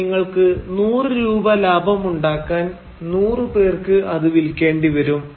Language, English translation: Malayalam, Which means that you will have to, in order to make Rs 100 profit, you will have to sell it to 100 people